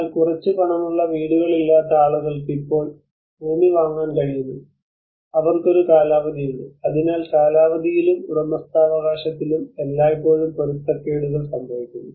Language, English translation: Malayalam, But the people who are not having houses who have a little money but now they could able to afford the land and then they have a tenure so there is always the discrepancies occur in the tenure and the ownership aspect